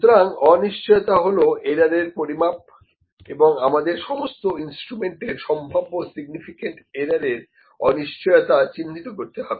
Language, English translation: Bengali, So, uncertainty is the estimate of the error and it is to be identified for all the potential significant errors for the instruments